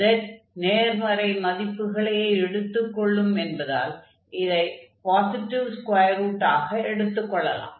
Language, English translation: Tamil, So, this z we can replace from there and z is positive so we can take the positive square root of this